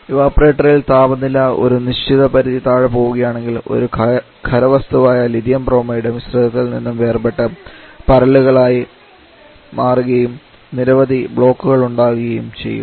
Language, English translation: Malayalam, If the temperature particularly in the evaporator draws below certain limit as if pressure drop in Lithium Bromide which actually a solid can get separated from the mixture and can be deposited in the form of Crystal which can lead to severe blockage issues